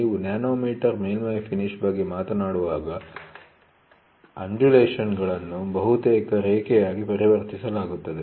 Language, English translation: Kannada, When you talk about nanometer surface finish, the undulations are almost converted into a line